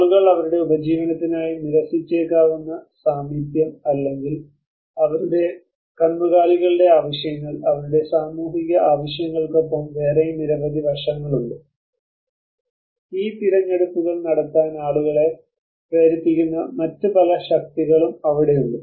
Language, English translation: Malayalam, So that is where people may have rejected for their livelihood needs the proximity or their cattle needs with their social needs there are many other aspects there many other forces which make the people to take these choices